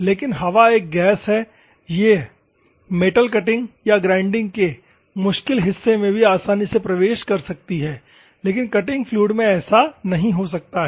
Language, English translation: Hindi, So, but air is a gas, it can enter or penetrate into the seashore zones of metal cutting or the grinding, but as a liquid, cutting fluid cannot